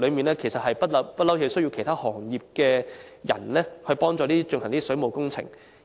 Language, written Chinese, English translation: Cantonese, 事實上，整個行業一直需要其他行業的工人協助進行水務工程。, In fact the entire trade has relied on assistance from workers of other trades to carry out plumbing works